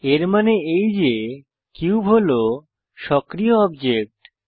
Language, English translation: Bengali, This means that the active object is the cube